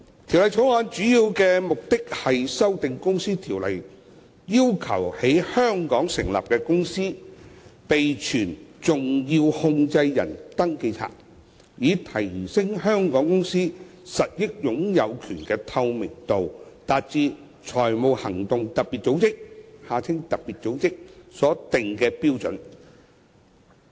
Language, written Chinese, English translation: Cantonese, 《條例草案》的主要目的是修訂《公司條例》，要求在香港成立的公司備存重要控制人登記冊，以提升香港公司實益擁有權的透明度，達致財務行動特別組織所定的標準。, The main purpose of the Bill is to amend the Companies Ordinance to require a company incorporated in Hong Kong to keep a significant controllers register SCR of the company to enhance the transparency of beneficial ownership of the company to meet the standards set by the Financial Action Task Force FATF